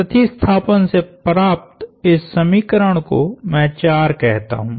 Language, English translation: Hindi, Now substituting, I call this equation 4